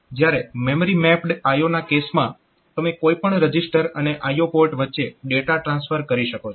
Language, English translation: Gujarati, Whereas, in case of memory mapped I O, you can have data transfer between register and any register and the I O port